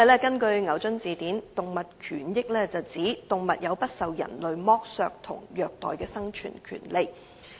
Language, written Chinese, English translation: Cantonese, 根據牛津字典，"動物權益"是指動物有不受人類剝削和虐待的生存權利。, According to Oxford dictionary animal rights refers to the rights of animals to live free from human exploitation and abuse